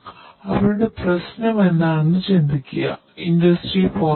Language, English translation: Malayalam, Think about what is their problem, think about what you already know about industry 4